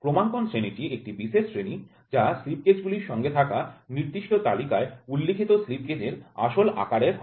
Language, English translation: Bengali, Calibration grade is a special grade with the actual size of the slip gauge stated on a special chart supplied with the set of slip gauges